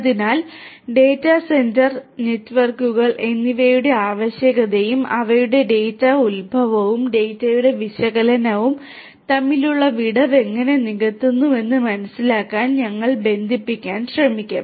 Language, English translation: Malayalam, So, we are going to try to connect to try to understand the requirement of data centre, data centre networks and how they bridge the gap between the origination of the data and the analysis of the data